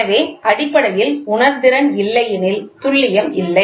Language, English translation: Tamil, So, basically, the sensitivity is not there, the accuracy is not there